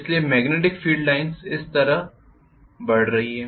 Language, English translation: Hindi, So I am going to have the magnetic field lines going like this right